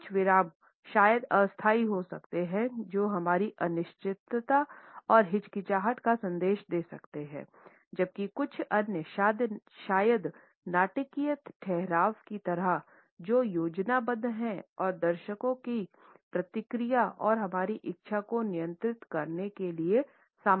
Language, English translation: Hindi, Some pauses maybe temporary which may indicate our uncertainty and hesitation, whereas some other, maybe like caesura or the dramatic pauses, which are planned and show our control of the content and our desire to control the audience reaction